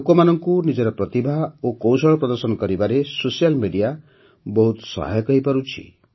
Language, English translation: Odia, Social media has also helped a lot in showcasing people's skills and talents